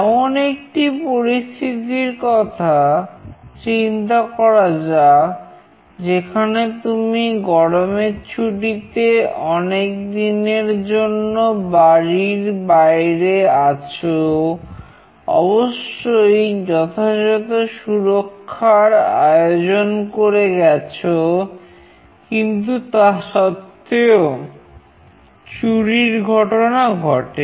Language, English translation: Bengali, Let us think of a scenario, where you are out of your house during summer vacation for a long time, of course securities are there in places, but still theft may occur